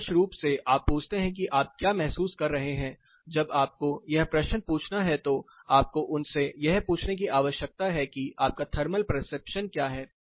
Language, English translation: Hindi, Ideally what you ask is what do you perceive, when you have to ask this question you need to ask them what is your thermal perception